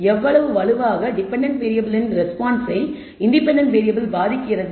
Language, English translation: Tamil, How strongly the independent variable affects the response of the dependent variable